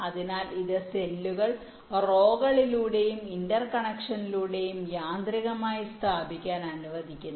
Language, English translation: Malayalam, so this allows automatic placement of the cells along rows and interconnection